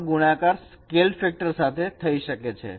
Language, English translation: Gujarati, It is just multiplied by scale factor